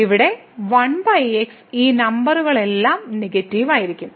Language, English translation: Malayalam, So, all these numbers here 1 over will be negative